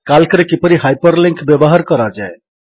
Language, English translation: Odia, How to use hyperlinks in Calc